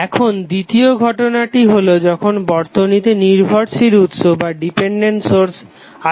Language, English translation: Bengali, And it is also possible when the circuit is having dependent sources